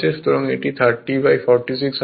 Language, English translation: Bengali, So, it will be 30 by 46